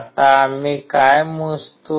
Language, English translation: Marathi, Now what do we measure